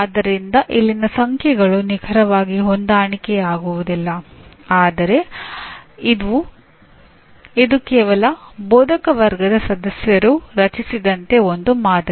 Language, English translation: Kannada, So the numbers here do not exactly match but this is one sample as created by some faculty members